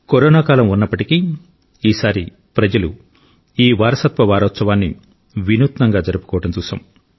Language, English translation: Telugu, In spite of these times of corona, this time, we saw people celebrate this Heritage week in an innovative manner